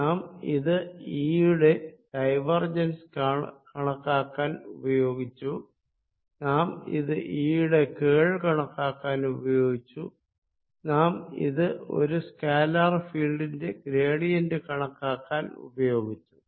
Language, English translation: Malayalam, now we have used it to calculate divergence of e, we have used it to calculate curl of e and now we have used it to calculate gradient of i, scalar field, if you like